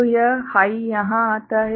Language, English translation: Hindi, So, this high comes over here